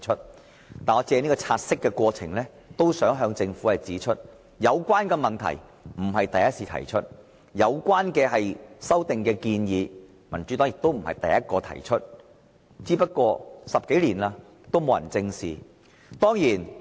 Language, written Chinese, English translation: Cantonese, 不過，我想藉現時察悉的過程向政府指出，有關的問題並非第一次提出，而有關的修訂建議也不是民主黨第一個提出，只是10多年來從未獲得正視而已。, Nonetheless I would like to point out to the Government during this take - note process that this is not the first time to raise the issue and the Democratic Party is not the first party to propose the relevant amendments . However the issue has not been squarely addressed in the past decade or so